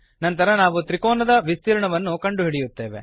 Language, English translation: Kannada, Then we calculate the area of the triangle